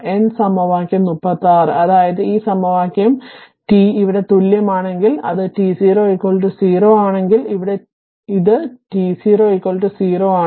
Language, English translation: Malayalam, Then equation 36; that means, this equation, if t is equals your here it is if t 0 is equal to 0, here it is t 0 is equal to 0